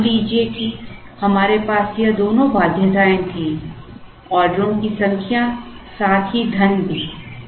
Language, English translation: Hindi, Now, suppose we had both this constraint: number of orders, as well as money